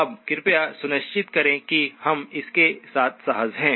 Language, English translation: Hindi, Now please make sure that we are comfortable with this